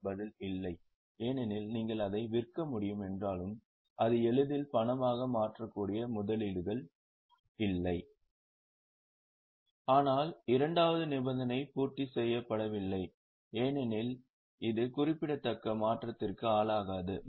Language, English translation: Tamil, The answer is no because though you can sell it, it is highly liquid investment but the second condition is not fulfilled because it is not subject to insignificant risk of change